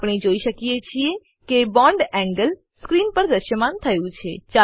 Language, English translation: Gujarati, We can see the bond angle displayed on the screen